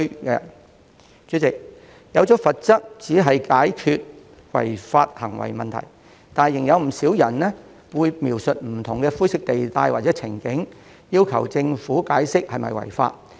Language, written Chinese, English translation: Cantonese, 代理主席，訂下罰則只能解決違法行為的問題，但仍有不少人會描述不同的灰色地帶或情景，要求政府解釋是否違法。, Deputy President the imposition of penalties can only address the problem concerning illegal acts and many people still refer to different grey areas or scenarios to seek explanation from the Government on whether they would constitute violation of the law